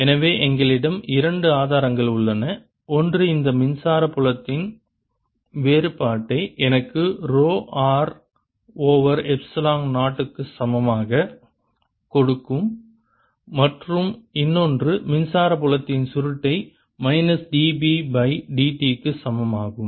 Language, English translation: Tamil, so we have two sources: one which gives me divergent of this electric field equals row r over epsilon zero, and another one which gives me curl of electric field as equal to minus d v by d t